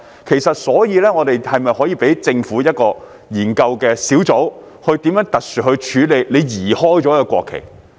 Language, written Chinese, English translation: Cantonese, 其實，是否可以交由政府的一個研究小組，特殊處理被移開了的國旗？, In fact is it possible for the Government to set up a task force to study the handling of the removed national flags in a special way?